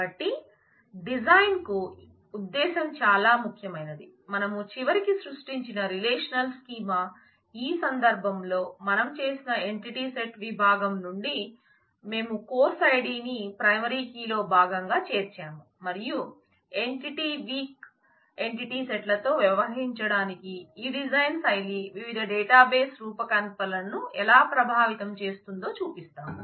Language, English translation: Telugu, So, this notion is very important for the design as we will see that the relational schema that we eventually created, in this case from the entity set section we did include course id as a part of the primary key not using the sec course kind of relationship and we will show how this design style for dealing with entity weak entity sets influences the different database designs